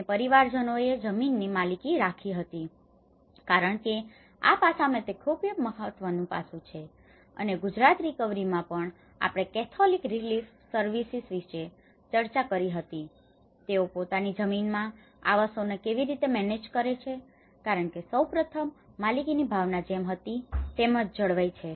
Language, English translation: Gujarati, And the families held the ownership of the land because in this aspect the main important aspect and the Gujarat recovery also we did discussed about the catholic relief services how they manage the housing in their own land because first of all, the sense of ownership is retained as it is okay